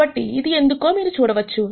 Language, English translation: Telugu, So, you can see why that is